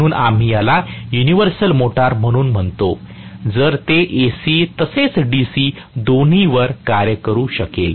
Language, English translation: Marathi, So, we call that as universal motor, if it can work on both AC as well as DC